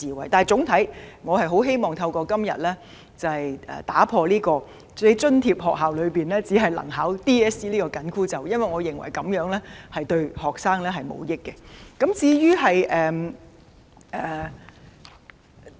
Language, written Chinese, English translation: Cantonese, 然而，總體而言，我很希望今天能打破津貼學校學生只可報考 DSE 這個"緊箍咒"，因為我認為這對學生毫無益處。, Nevertheless I am eager to break the constraint that students of subsidized schools can only take DSE because I think that will not bring benefits to students